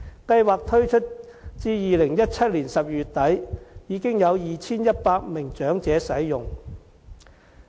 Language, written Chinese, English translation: Cantonese, 計劃推出至2017年12月底，已經有 2,100 名長者使用。, After the implementation of the Scheme by the end of December 2017 2 100 elderly people have used the services